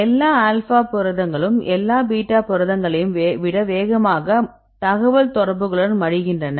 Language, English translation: Tamil, Right all alpha is proteins fold faster than all beta proteins right if we can compare this information with the contacts